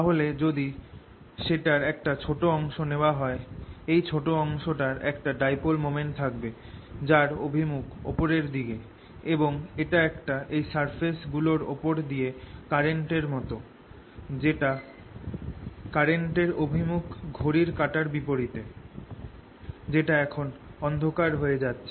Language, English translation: Bengali, then if i look at a small portion of it here, this small portion has a dipole moment in the direction going up and that would be equivalent to a current going counter clockwise along these surfaces which are now going to darken